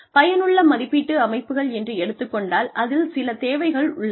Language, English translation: Tamil, When we talk about, effective appraisal systems, there are some requirements